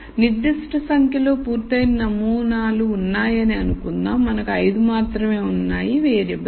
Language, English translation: Telugu, So, let us assume there are a certain number of samples which are complete we have only 5 variables